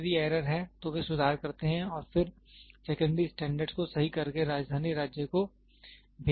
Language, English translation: Hindi, If there is any error, they make the corrections and then the standards secondary standard is corrected and sent to the capital state